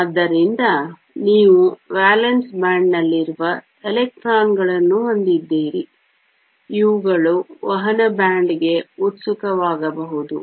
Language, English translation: Kannada, So, you have electrons that are there in the valence band, these can be excited to the conduction band